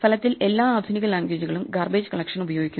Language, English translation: Malayalam, So, virtually speaking all modern languages use garbage collection because it is so much simpler